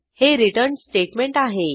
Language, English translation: Marathi, And this is the return statement